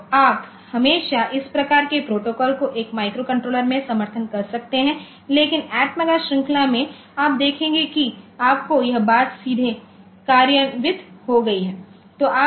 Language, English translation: Hindi, So, you can always support in a microcontroller this type of protocol, but in atmega series you see you have got this thing directly implemented